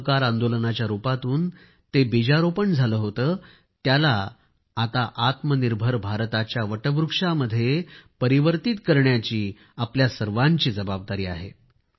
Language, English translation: Marathi, A seed that was sown in the form of the Noncooperation movement, it is now the responsibility of all of us to transform it into banyan tree of selfreliant India